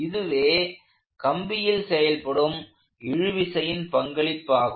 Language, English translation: Tamil, So, this is the role of the tension in the cable